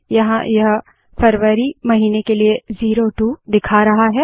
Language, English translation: Hindi, Here it is showing 02 for the month of February